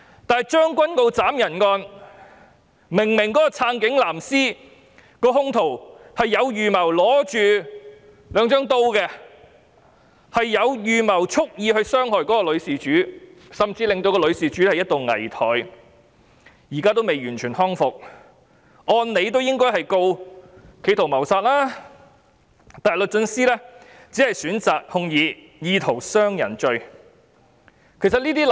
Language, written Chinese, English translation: Cantonese, 但是，將軍澳斬人案，支持警察的"藍絲"兇徒手持兩把刀蓄意傷害女事主，甚至令女事主一度危殆，現在仍未完全康復，按理應該控告他企圖謀殺，但律政司只是選擇控以意圖傷人罪。, However in the case of the Tseung Kwan O stabbing incident a pro - police blue - ribbon assailant carried two knives to deliberately inflict harm on the female victim who was in critical condition at one point and has yet to be fully rehabilitated . It thus follows that the assailant should be prosecuted for an attempt to commit murder but the Department of Justice has only chosen to prosecute him for an attempt to wound a person